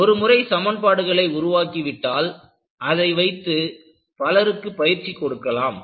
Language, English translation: Tamil, Once, you have it as equations and then you can train many people to practice this